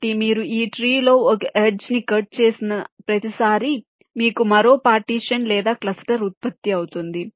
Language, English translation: Telugu, so every time you cut an edge in this tree you will get one more partition or cluster generated